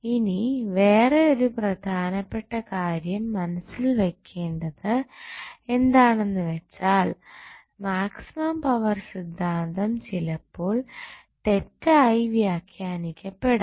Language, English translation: Malayalam, Now, another important thing which you have to keep in mind that maximum power theorem is sometimes misinterpreted